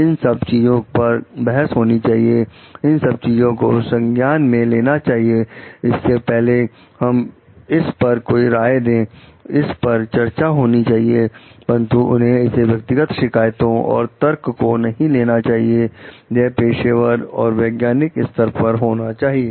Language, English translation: Hindi, These things needs to be debated, these things needs to be considered before like we give a suggestions on it, decisions on it, but they should not be taken as personal grievances and arguments, it should be done at a professional and scientific level